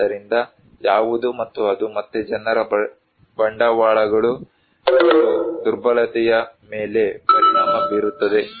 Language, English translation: Kannada, So, what is and that again actually affects people's capitals and vulnerability